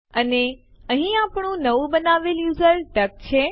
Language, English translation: Gujarati, And here is our newly created user named duck